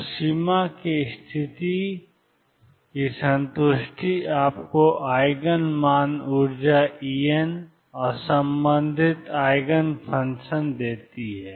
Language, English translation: Hindi, So, the satisfaction of boundary condition gives you the Eigen values energy E n and the corresponding Eigen functions